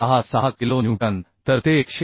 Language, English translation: Marathi, 66 newton or that is 101